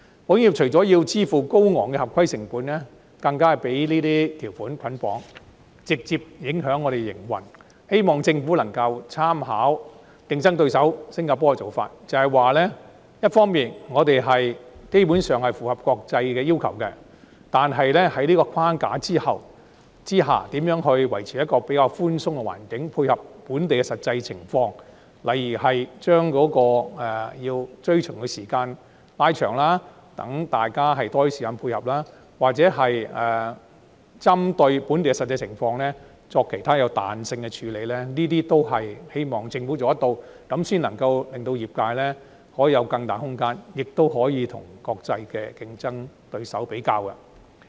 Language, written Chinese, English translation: Cantonese, 保險業除了要支付高昂的合規成本，更被這些條款捆綁，直接影響我們的營運，希望政府能夠參考競爭對手新加坡的做法，即是說，一方面我們基本上符合國際的要求，但在這個框架之下，如何維持一個比較寬鬆的環境，以配合本地的實際情況，例如將追循的時間拉長，讓大家有更多時間配合，或者針對本地的實際情況作其他彈性處理，這些也是希望政府能夠做到的工作，這樣才可令業界有更大空間，亦能與國際競爭對手作比較。, In addition to being required to pay a high compliance cost the insurance industry is stymied by these conditions which have a direct impact on our operation . I hope that the Government will take a cue from the practice of our competitor Singapore . That is to say on the one hand we basically comply with international requirements but on the other hand what the Government can hopefully do is contemplate how to maintain a more relaxed environment under this framework to suit the local situation for example by extending the time for compliance to afford us more time for adaptation or by taking other flexible measures in the light of the local situation